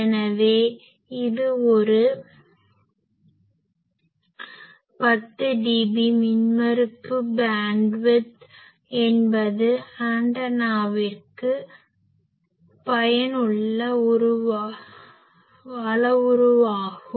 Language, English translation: Tamil, So, it is an 10 dB impedance bandwidth is a useful parameter for an antenna